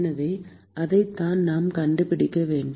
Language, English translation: Tamil, So, that is what we need to find